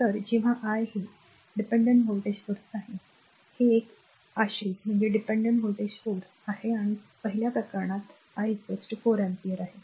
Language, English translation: Marathi, So, when I is equal to this is a your dependent voltage source, this is a dependent voltage source and first case is I is equal to 4 ampere